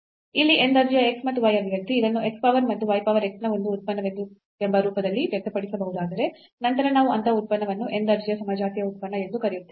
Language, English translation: Kannada, So, any expression here in x and y of order n, if it can be expressed in this form that x power n n some function of y over x then we call such a function of homogeneous function of order n